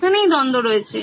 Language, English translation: Bengali, The conflict lies between